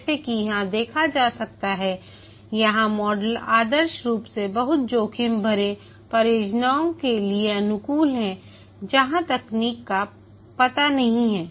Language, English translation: Hindi, As can be seen here, this model is ideally suited for very risky projects where the technology is not known